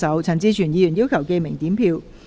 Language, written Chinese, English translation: Cantonese, 陳志全議員要求點名表決。, Mr CHAN Chi - chuen has claimed a division